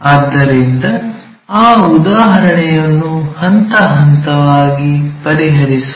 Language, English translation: Kannada, So, let us solve that problem step by step